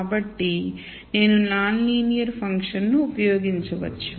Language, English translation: Telugu, So, maybe I can use a non linear function and so on